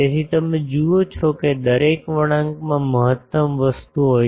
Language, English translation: Gujarati, So, you see that every curve has a maximum thing